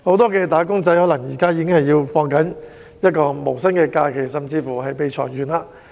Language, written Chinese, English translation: Cantonese, 不少"打工仔"現時可能已在放無薪假，甚至已被裁員。, A lot of wage earners have probably been put on no - pay leave now or have even been laid off